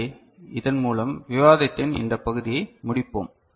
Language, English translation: Tamil, So with this we shall conclude this part of the discussion